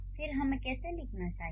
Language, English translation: Hindi, So, then how should we write